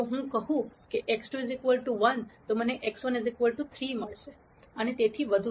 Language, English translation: Gujarati, If I said x 2 equals 1 I get x 1 equal 3 and so on